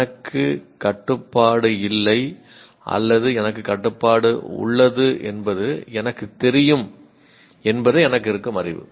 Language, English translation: Tamil, All that I have knowledge is I know I do not have control or I have control